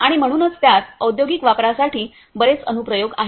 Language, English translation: Marathi, And so it has lot of applications for industrial uses